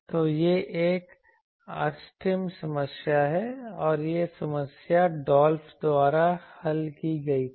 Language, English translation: Hindi, So, that is an optimum problem and that problem was solved by Dolph